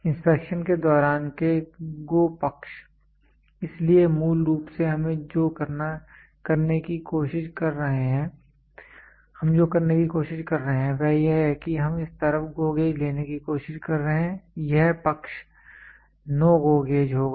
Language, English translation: Hindi, During inspection the GO side of the; so, basically what we are trying to do is we are trying to have this side will be GO gauge this side will be no GO gauge